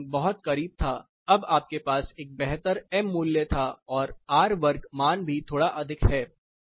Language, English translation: Hindi, The corelation were much closer now you had a better m value plus the r square values are also slightly higher here